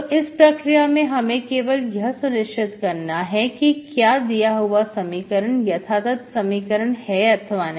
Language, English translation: Hindi, So in the procedure we just have to check whether a given equation in exact or not